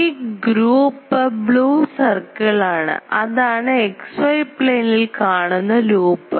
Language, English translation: Malayalam, So, the loop is blue um circle that is a loop placed in the xy plane